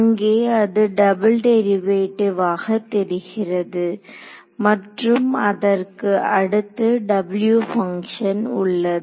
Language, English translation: Tamil, So, there is a it seems to be a double derivative right and there is a W function next to it right